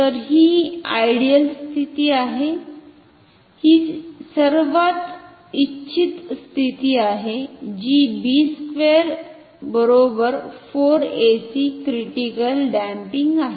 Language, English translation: Marathi, So, this is the ideal condition this is the most desired condition b square equal to 4 ac critical adamping